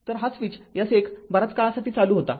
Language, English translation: Marathi, So, this is this switch S 1 was closed for long time